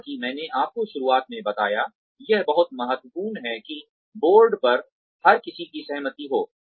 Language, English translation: Hindi, Like I told you in the beginning, it is very important, to have everybody on board, get their consent